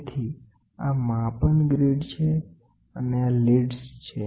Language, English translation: Gujarati, So, this is the measuring grid and these are the leads